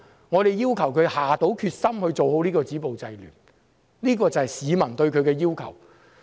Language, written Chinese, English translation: Cantonese, 我們要求她下決心做好止暴制亂的工作，這是市民對她的要求。, We ask her to make up her mind to do a good job in stopping violence and curbing disorder . This is the demand of the citizens on her